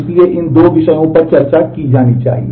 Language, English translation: Hindi, So, these are the two topics to discuss